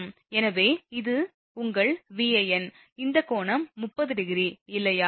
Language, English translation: Tamil, So, that is your Van this angle is 30 degree, right